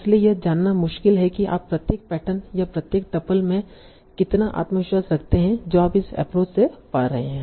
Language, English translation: Hindi, So it's difficult to know how confident you are in each pattern or each tuple that you are finding by this approach